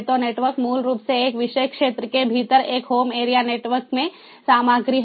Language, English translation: Hindi, so the network is basically content within aparticular home, in a, ah, in a in a home area network